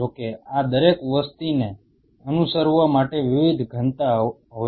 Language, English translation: Gujarati, Provided each one of these population have different densities to follow